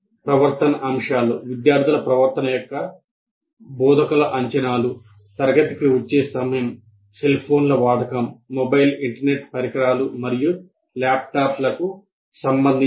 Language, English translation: Telugu, And behavior expectations, instructors expectations of students' behavior with regard to the timing of coming into the class, usage of cell phone, mobile internet devices, laptops, etc